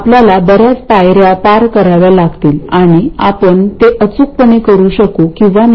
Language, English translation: Marathi, We have to go through several steps and we may or may not be able to do it exactly